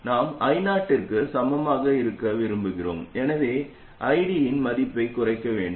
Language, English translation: Tamil, We want it to be equal to I 0, so we have to reduce the value of ID